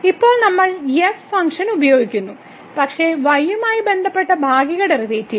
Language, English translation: Malayalam, So now, we are using the function , but the partial derivative with respect to